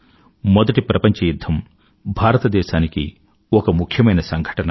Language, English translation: Telugu, For India, World War I was an important event